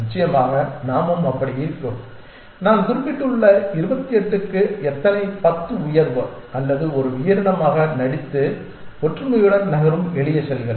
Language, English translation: Tamil, Of course, we are also like that in some sense made up of how many 10 rise to something I had mentioned 28 or something simple cells moving around in a unison pretending to be a creature